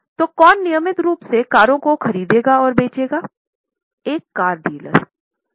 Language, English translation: Hindi, Who will buy and sell cars regularly